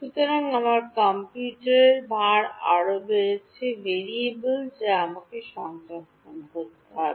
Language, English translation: Bengali, So, I have my computational load has increased by one more variable that I have to store